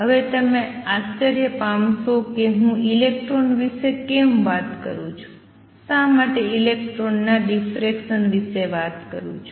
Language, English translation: Gujarati, Now you must be wondering so far how come I am talking about electrons why talking about diffraction of electrons